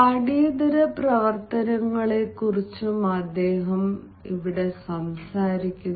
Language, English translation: Malayalam, and then he also talks about the extra curricular activities